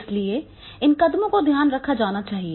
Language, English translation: Hindi, So these steps are to be taken care of